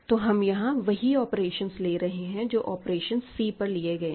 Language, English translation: Hindi, So, here we are taking the same operations, as the operations on C